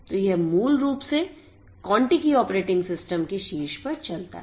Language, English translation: Hindi, So, this basically runs on pop of the Contiki operating system